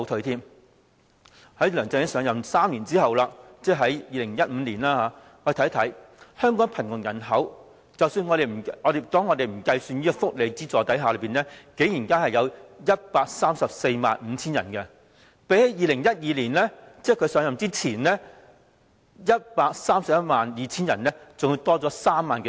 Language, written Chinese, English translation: Cantonese, 在梁振英上任3年後的2015年，我們看看香港的貧窮人口，在不計算福利補助的情況下，竟然有 1,345 000人，比起在2012年的 1,312 000人，增加了3萬多人。, In 2015 three years after LEUNG Chun - ying took office the poverty population in Hong Kong stood at 1 345 000 calculated with welfare subsidy factored out . The figure was some 30 000 greater than 1 312 000 which was the poverty population recorded in 2012 before he took office